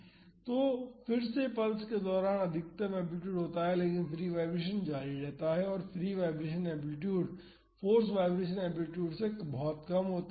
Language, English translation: Hindi, Here, again the maximum amplitude happens during the pulse, but the free vibration continuous and the free vibration amplitude is much lesser than the force vibration amplitude